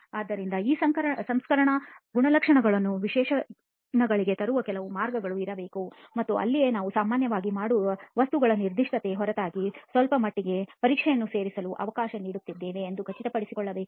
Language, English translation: Kannada, So there should be some ways of bringing in these processing characteristics also into the specifications and that is where we need to ensure that we are allowing for some degree of testing to be included apart from the specification of the materials which is quite commonly done in most construction projects